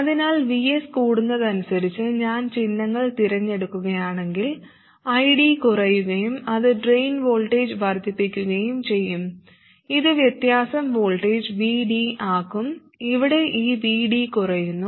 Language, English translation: Malayalam, So if I choose the signs to be like that, then as VS increases, ID will fall down, which will make the drain voltage increase, which will make the difference voltage, VD, this VD here, decrease